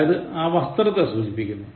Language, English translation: Malayalam, Okay this refers to the dress